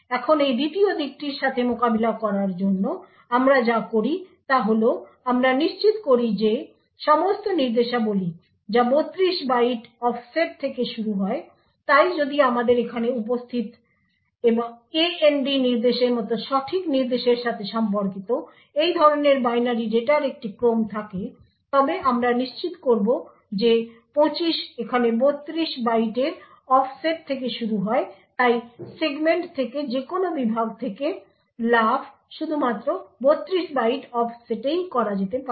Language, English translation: Bengali, Now in order to deal with this second aspect what we do is that we ensure that all instructions start at 32 byte offsets, so therefore if we have a sequence of such binary data corresponding to a correct instruction like the AND instruction present here we would ensure that the 25 over here starts at an offset of 32 bytes thus any jump from the segment can be only done to a 32 byte offset